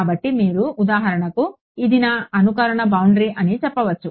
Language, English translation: Telugu, So, you can for example, say that this is going to be my simulation boundary ok